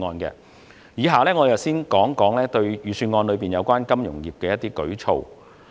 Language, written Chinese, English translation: Cantonese, 以下我會先談預算案內有關金融業的一些舉措。, In the following I will first talk about some initiatives relating to the financial industry in the Budget